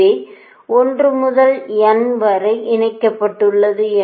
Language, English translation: Tamil, so one, two, n is connected